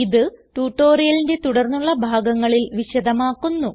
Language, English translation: Malayalam, It will be explained in subsequent part of the tutorial